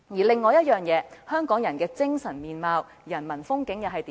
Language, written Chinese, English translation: Cantonese, 另外，香港人的精神面貌、人民風景又是如何？, This aside what is Hong Kong like in terms of its peoples ethos and its human landscape?